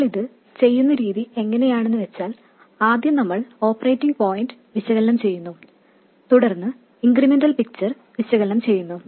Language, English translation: Malayalam, The way we do it is first we analyze the operating point then we analyze the incremental picture